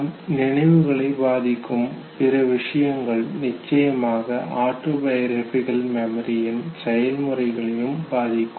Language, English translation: Tamil, And therefore the factors that affect other forms of memory they are also supposed to affect the organizational process of autobiographical memory